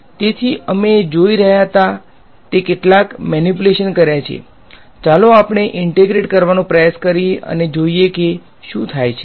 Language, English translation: Gujarati, So, we have done some we were looking manipulation next let us try to integrate and see what happens ok